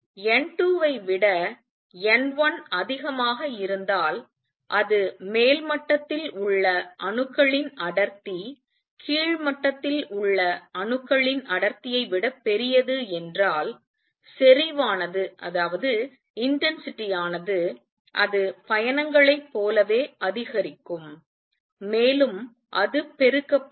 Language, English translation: Tamil, So if n 2 is greater than n 1 that is the density of the atoms in the upper level is larger than the density of atoms in lower level intensity is going to increase as like travels and it gets amplified